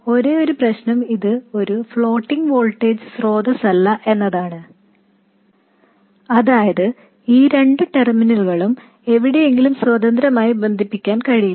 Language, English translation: Malayalam, The only problem is that it is not a floating voltage source, that is these two terminals cannot be independently connected somewhere